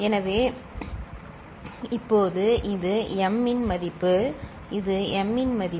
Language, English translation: Tamil, So, now this is the value of m right, this is the value of m